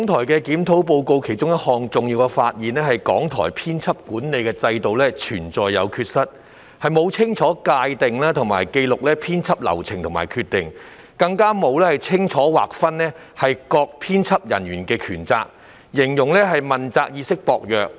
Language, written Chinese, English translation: Cantonese, 《檢討報告》中的重要發現之一，是港台的編輯管理制度存在缺失，既沒有清楚界定和紀錄編輯流程和決定，也沒有清楚劃分各編輯人員的權責，被形容為問責意識薄弱。, One of the important findings highlighted in the Review Report is that there are deficiencies relating to RTHKs editorial management system . Not only have editorial processes and decisions not been well - defined and properly documented a clear delineation of the authorities and responsibilities of various editorial staff has also not been established and the awareness of accountability in RTHK is described as low